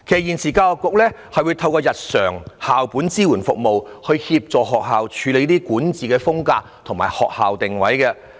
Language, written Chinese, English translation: Cantonese, 現時教育局會透過日常校本支援服務，協助學校建立管治風格及教學定位。, At present the Education Bureau provides general school - based support services to assist schools in establishing their governance styles and education positioning